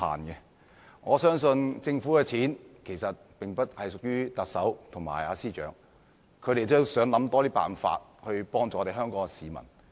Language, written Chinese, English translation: Cantonese, 公帑並不屬於特首和司長個人擁有，他們也希望想出更多辦法幫助香港市民。, Since neither the Chief Executive nor the Financial Secretary owns public money they also hope that they can devise ways to help Hong Kong people